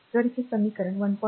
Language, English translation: Marathi, So, if this is equation 1